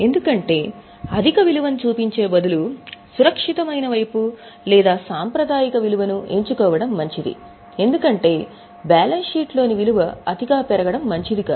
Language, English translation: Telugu, Because instead of showing excessive value, it is better to be on a safer side or on the conservative side because we do not want the value in the balance sheet to be inflated